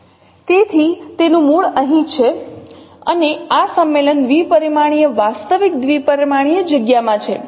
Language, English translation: Gujarati, So it has its origin here and in this in this convention in the two dimensional real two dimensional space